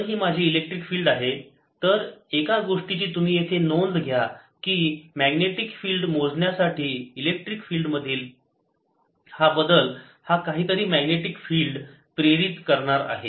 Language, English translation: Marathi, so, ah, one thing: you now note here that for calculating magnetic field, this ah change in electric field will ah induce some magnetic field